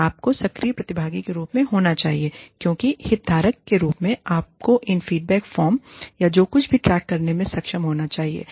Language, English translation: Hindi, And, you should be, as the active participant, as the stakeholder, you should be able to track, these feedback forms, or whatever